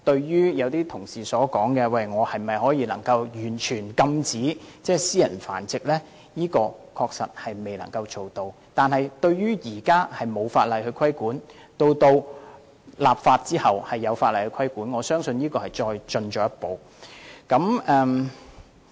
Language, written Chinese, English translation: Cantonese, 有些同事問這項修訂規例能否完全禁止私人繁殖，現時的確未能做到這點，但在法例生效後便會有法例規管，我相信這是一項進步。, Some Honourable colleagues queried whether the Amendment Regulation can completely prohibit private breeding . While it is indeed impossible to impose a total ban private breeding will be subject to regulation after the legislation comes into effect and I believe this is an improvement